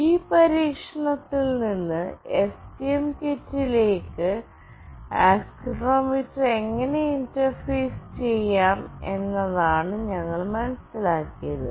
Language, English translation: Malayalam, From this experiment, what we have understood is that how we can interface the accelerometer to the STM kit